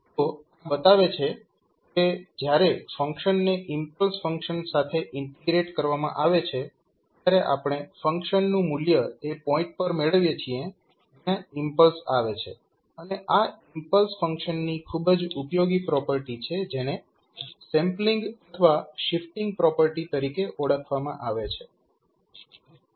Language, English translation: Gujarati, So, this shows that when the function is integrated with the impulse function we obtain the value of the function at the point where impulse occurs and this is highly useful property of the impulse function which is known as sampling or shifting property